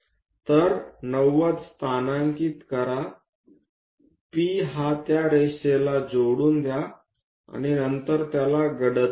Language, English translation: Marathi, So, locate 90 degrees, join P with line and after that darken it